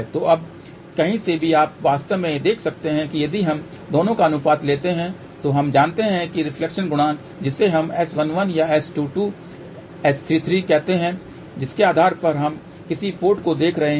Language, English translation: Hindi, So, now, from here you can actually see that if we take the ratio of the two, so we know that reflection coefficient which is let us say S 11 or S 22 S 33 depending upon which port we are looking at